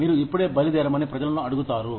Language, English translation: Telugu, You would ask people, to leave now